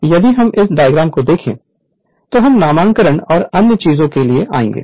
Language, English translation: Hindi, So, if you look into if you look into this diagram right, we will come to the nomenclature and other thing